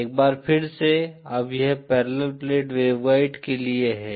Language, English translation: Hindi, Now this is for a parallel plate waveguide, once again